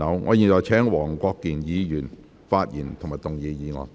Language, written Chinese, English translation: Cantonese, 我現在請黃國健議員發言及動議議案。, I now call upon Mr WONG Kwok - kin to speak and move the motion